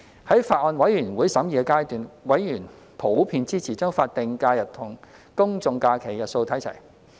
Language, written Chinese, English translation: Cantonese, 在法案委員會審議階段，委員普遍支持將法定假日與公眾假期日數看齊。, During the deliberation of the Bills Committee members generally supported the alignment of SHs with GHs